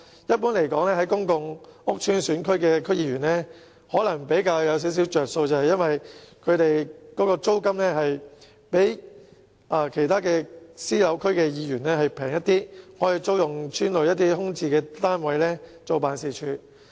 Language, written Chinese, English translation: Cantonese, 一般而言，公共屋邨選區的區議員的處境可能比較好一點，因為辦事處租金比起其他私人住宅區的區議員辦事處便宜，他們可以租用邨內空置單位作為辦事處。, Generally speaking DC members returned by constituencies comprising of public housing areas may fare better because the rents of their offices are lower than those for offices of DC members returned by constituencies comprising of private residential areas as the former can rent vacant units in these public housing estates for use as ward offices